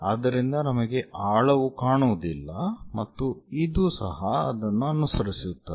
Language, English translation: Kannada, So, we do not see anything depth and this one follows that one